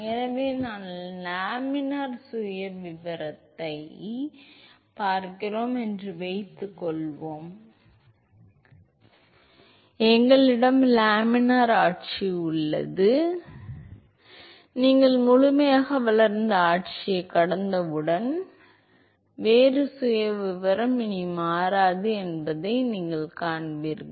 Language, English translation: Tamil, So, let us assume that we are looking at laminar profile we have laminar regime then you will see that as soon as you cross the fully developed regime the velocity profile does not change anymore